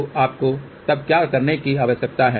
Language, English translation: Hindi, So, what you need to do then